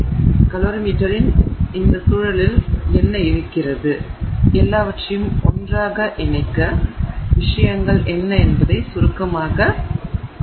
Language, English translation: Tamil, So, we will look briefly at what it is that is, you know, in this context of calorie metry, what all are the things that come together